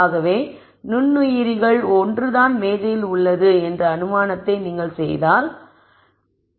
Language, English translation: Tamil, So, let us say you make the assumption that microorganism one is what is there on the table